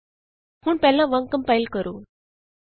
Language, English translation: Punjabi, Now compile as before